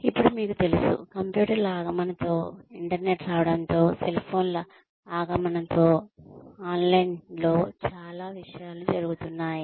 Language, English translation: Telugu, Now, you know, with the advent of computers, with the advent of the internet, with the advent of cell phones, a lot of things are happening online